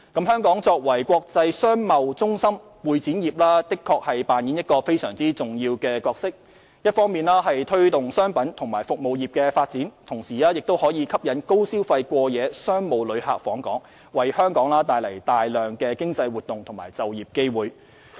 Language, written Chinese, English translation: Cantonese, 香港作為國際商貿中心，會展業確實擔當非常重要的角色，一方面推動商品和服務業的發展，同時吸引高消費過夜商務旅客訪港，為香港帶來大量經濟活動和就業機會。, The industry is indeed playing a crucial role in Hong Kong as an international centre for commerce and trade in on the one hand promoting the development of commodities and services industries and on the other attracting high - spending overnight visitors to visit Hong Kong to bring us lots of economic activities and employment opportunities